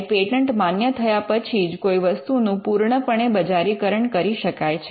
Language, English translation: Gujarati, So, when a patent gets granted it is only after the grant that patent can be fully commercialized